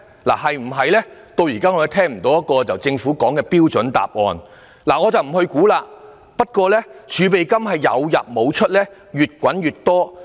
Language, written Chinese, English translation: Cantonese, 就此，我們至今仍未聽到政府就此提供一個標準答案，我也不想作估計，但儲備金有入無出、越滾越多。, In this regard we have not heard any model answer from the Government and I have no intention to speculate the motive